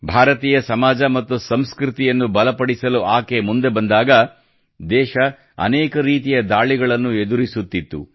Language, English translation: Kannada, She came forward to strengthen Indian society and culture when the country was facing many types of invasions